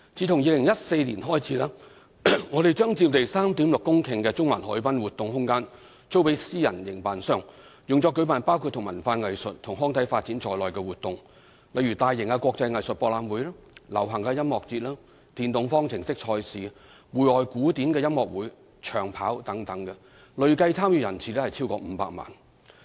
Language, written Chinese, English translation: Cantonese, 自2014年開始，我們將佔地 3.6 公頃的中環海濱活動空間租予私人營辦商，用作舉辦包括與文化藝術及康體發展有關的活動，例如大型國際藝術博覽會、流行音樂節、電動方程式賽事、戶外古典音樂會及長跑等，累計參與人次超過500萬。, Since 2014 we have let out the Central Harbourfront Event Space which occupies an area of 3.6 hectare to a private operator for hosting activities related to the development of culture arts recreation and sports including international art fairs pop music festivals the Hong Kong E - Prix outdoor classical concerts and long distance runs etc . More than 5 million participants have been attracted to these activities